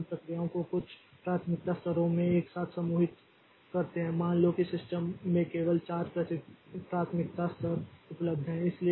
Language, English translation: Hindi, So, we group the processes together into some priority levels so that it is suppose there are only four priority levels available in a system